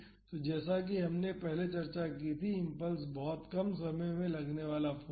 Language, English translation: Hindi, So, impulse as we discussed earlier it is force acting force very small time